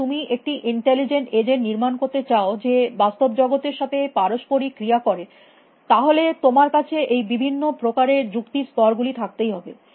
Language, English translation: Bengali, If you want to build an intelligent agent which interacts with the real world, then you have to have at least these layers of different kinds of reasoning